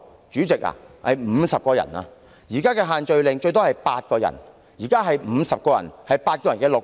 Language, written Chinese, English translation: Cantonese, 主席，那是50人，而在現行限聚令下，最多只容許8人聚集 ，50 人是8人的6倍。, President there were 50 people but under the existing social gathering restrictions only group gatherings of a maximum of eight people are allowed . Therefore the number of people gathered then was six times that permitted